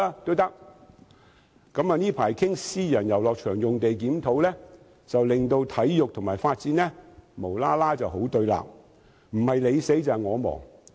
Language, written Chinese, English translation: Cantonese, 最近有關檢討私人遊樂場地契約的討論令體育及發展無故變得對立，好像不是你死就是我亡般。, The recent discussion about the review of private recreational leases has unreasonably put sports and development in confrontation as though the two cannot coexist